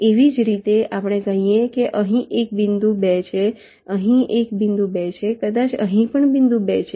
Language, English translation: Gujarati, similarly, lets say there is a point two here, there is a point two here may be there is a point two here